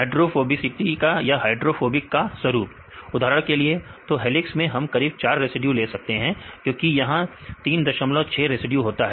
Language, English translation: Hindi, pattern of hydrophobic Pattern right, for example, the helices we have the we can take the 4 residues approximately because of the 3